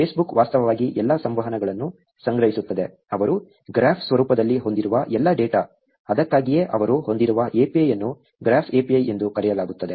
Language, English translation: Kannada, Facebook actually stores all interactions, of all data that they have within the graph format; that is why the API that they have is also called as a graph API